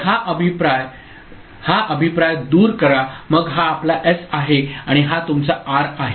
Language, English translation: Marathi, So, this feedback eliminate this a feedback then this is your S and this is your R